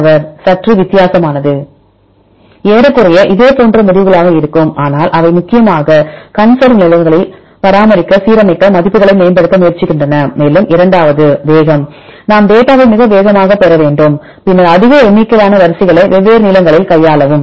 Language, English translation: Tamil, Almost you will be a similar results, but they try to improve the alignment values mainly to align maintained in the conserve positions and second option is a speed right we need to get the data very quickly, then to handling more number of sequences and currently the sequence are of different lengths